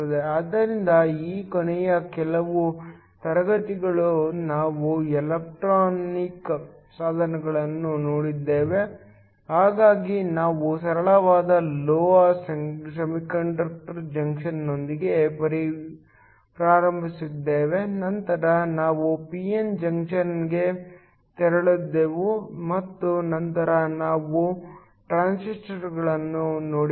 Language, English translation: Kannada, So, These last few classes we have looked at electronic devices so we started with a simple metal semiconductor junction then we moved on to a p n junction and then we looked at transistors